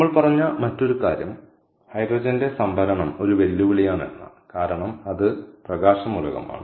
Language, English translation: Malayalam, the other thing that we said is storage of hydrogen is a challenge because ah its light element, so it requires large volumes